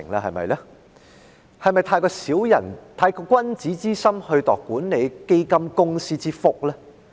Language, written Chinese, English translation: Cantonese, 是否過於以君子之心來度管理基金公司之腹呢？, Is it too much of a gentleman to expect that the fund companies will reduce their management fees?